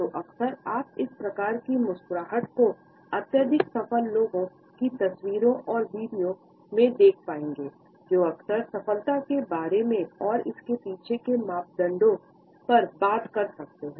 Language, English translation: Hindi, So, often you would find this type of a smile in the photographs and videos of highly successful people, who may often talk about success and the parameters behind it, yet never revealed the true life stories